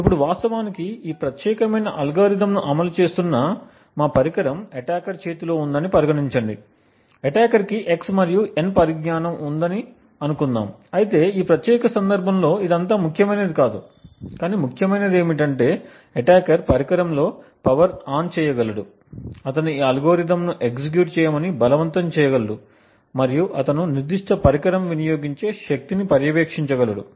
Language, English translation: Telugu, Now consider that we have our device which is actually implementing this particular algorithm is in the hands of the attacker, the attacker let us assume has knowledge of x and n although in this particular case it is not very important, but what is important is that the attacker is able to power ON the device, he is able to force this algorithm to execute and he is able to monitor the power consumed by that particular device